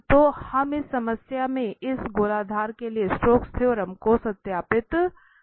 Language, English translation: Hindi, So, will verify in this problem the Stokes theorem for this hemisphere